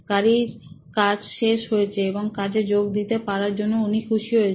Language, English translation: Bengali, The vehicle is out of the way and now she is happy to go to work